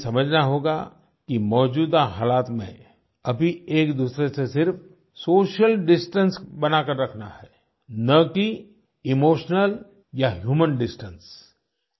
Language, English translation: Hindi, We need to understand that in the current circumstances, we need to ensure social distance, not human or emotional distance